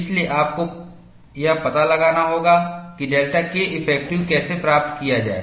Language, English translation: Hindi, So, you have to find out, how to get delta K effective